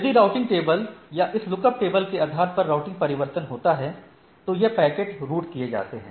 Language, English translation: Hindi, If the routing change because, based on the routing table or this lookup table, these packets are routed